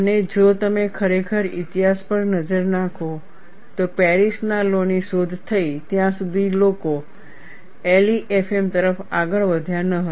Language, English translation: Gujarati, And if you really look at the history, people did not jump on to LEFM until Paris law was invented